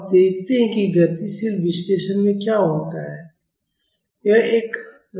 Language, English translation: Hindi, Now, let us see what happens in dynamic analysis